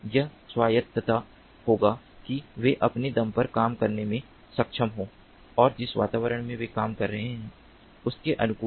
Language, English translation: Hindi, they should be able to operate on their own and be adaptive to the environment in which they are operating